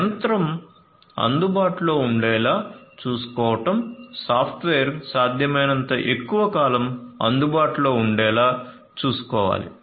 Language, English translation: Telugu, So, ensuring that the machine is made available, the software is made available as much long as possible